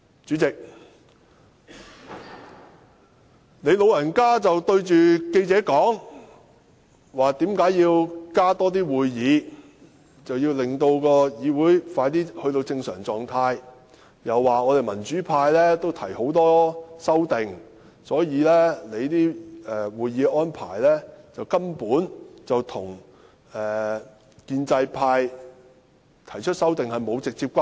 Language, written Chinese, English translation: Cantonese, 主席，你對記者說，加開會議就是要讓議會盡快回復正常狀態，又說民主派也提出了很多修訂，而既然大家均有提出修訂，所以會議的安排與建制派提出修訂沒有直接關係。, President you have told the press that the arrangement of having additional meeting days is meant to enable the Council to resume normal functioning as soon as possible . You also say that since the pro - democracy camp has likewise put forward many amendments meaning that both sides have raised amendments the amendments proposed by the pro - establishment camp should not be regarded as the direct cause of this meeting arrangement